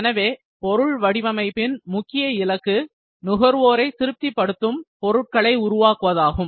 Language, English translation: Tamil, So, goals of any design activities are to create products that satisfy customers